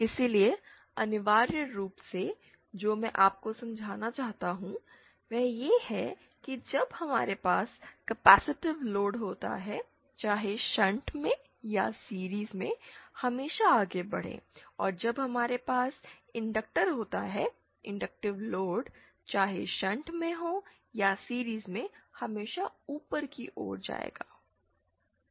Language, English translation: Hindi, So, essentially what I would like you to understand is that when we have a capacitive load, whether in shunt or in series will always move onwards and when we have inductor, inductive load whether in shunt or in series will always move upwards